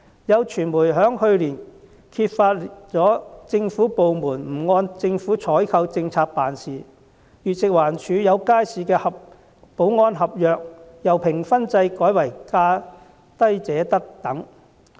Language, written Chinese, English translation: Cantonese, 有傳媒在去年揭發了有政府部門不按政府採購政策辦事，例如食物環境衞生署有街市的保安合約由評分制改為價低者得等。, It was disclosed by the media last year that some government departments did not follow the Governments procurement policy . For example the security contract of a market under the Food and Environmental Hygiene Department was awarded under the lowest bid wins arrangements instead of the scoring system